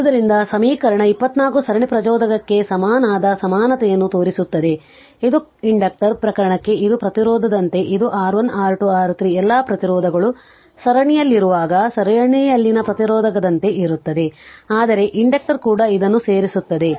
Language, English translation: Kannada, Therefore equation 24 shows the equivalent equivalent for the series inductor, it is like a resistance this for inductor case it is like a resistor in series when R1 R2 R3 all resistance are in series we add it you do the same thing, but inductor also just you add it right